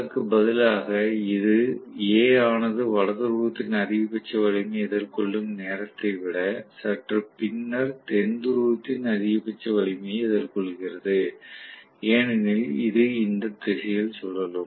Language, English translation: Tamil, Rather than that, if I am going to have, maybe this is facing the maximum strength of South Pole a little later than, when A faces the maximum strength of North Pole because it is going to rotate in this direction